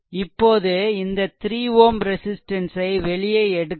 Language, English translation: Tamil, Now, if you open this 3 ohm resistance